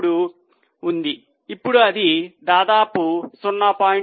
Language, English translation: Telugu, 33, now it is almost 0